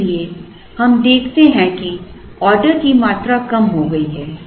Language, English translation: Hindi, So, we observe that the order quantities have come down